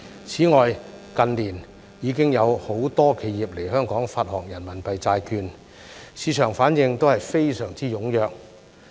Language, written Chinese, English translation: Cantonese, 此外，近年已經有很多企業來港發行人民幣債券，市場反應都非常踴躍。, Moreover in recent years many enterprises have issued RMB bonds in Hong Kong and the market response has been very enthusiastic